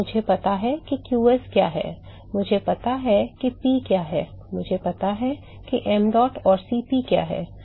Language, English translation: Hindi, So, I know what qs is, I know what P is, I know what mdot and Cp is